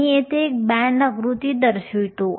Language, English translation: Marathi, I will show this band diagram here